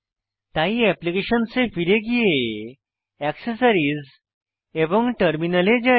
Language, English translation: Bengali, So lets move back to Applications , Accessories and then Terminal